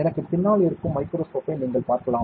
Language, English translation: Tamil, You can see the microscope behind next to me